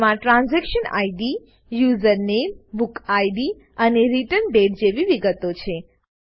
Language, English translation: Gujarati, It has details like Transaction Id, User Name, Book Id and Return Date